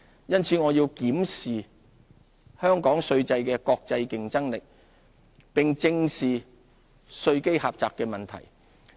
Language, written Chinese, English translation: Cantonese, 因此，我們要檢視香港稅制的國際競爭力，並正視稅基狹窄的問題。, We have to examine the international competitiveness of our tax regime and address the problem of a narrow tax base